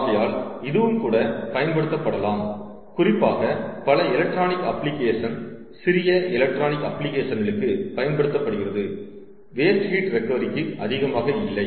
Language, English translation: Tamil, ok, so this is also used, especially if in many of the electronic app, small electronic applications, it is used not so much for waste heat recovery